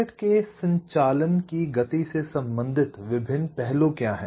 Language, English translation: Hindi, what are the different ah aspects related to the speed of operation of the circuit